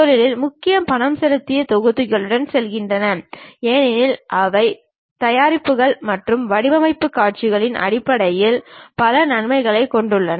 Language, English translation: Tamil, Industry mainly goes with paid packages because they have multiple advantages in terms of preparing and design materials